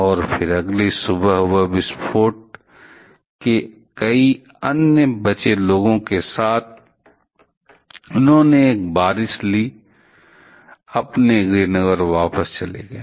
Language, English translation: Hindi, And, then on the next morning along with several other survivors of that explosion, they took a rain and went back to his hometown